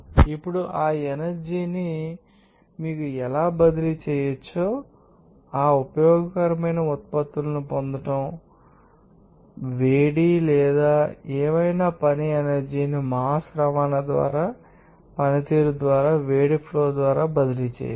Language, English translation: Telugu, Now, we know that how that energy can be transferred to you know utilize it for you know getting that useful products that energy whatever heat or work can be transferred by flow of heat by transport of mass or by performance of work